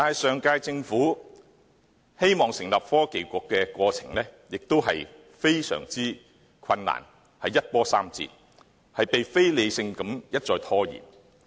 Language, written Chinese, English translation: Cantonese, 上屆政府希望成立創新及科技局的過程非常困難，一波三折，被非理性地一再拖延。, The establishment of the Bureau by the last - term Government encountered much obstruction and irrational delays